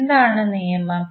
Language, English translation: Malayalam, What is the rule